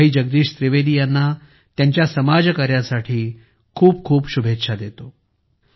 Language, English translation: Marathi, I wish Bhai Jagdish Trivedi ji all the best for his social work